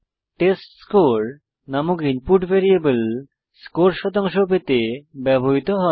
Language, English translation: Bengali, The input variable named testScore is used to get the score percentage